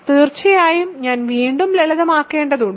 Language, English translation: Malayalam, So, of course, again I have to simplify